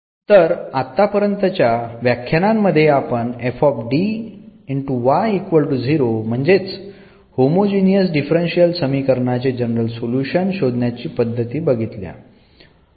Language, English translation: Marathi, So, that will be the general solution of the given homogeneous differential equation